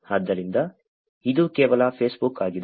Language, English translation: Kannada, So, that is only Facebook